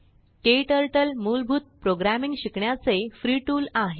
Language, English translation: Marathi, KTurtle is a free tool to learn basic programming